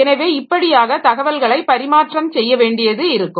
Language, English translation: Tamil, So, that way they need to exchange the information